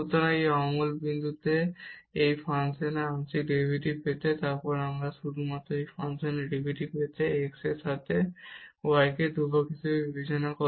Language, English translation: Bengali, So, to get the partial derivative of this function at this non origin point, then we have to we can just directly get the derivative of this function with respect to x treating this y as constant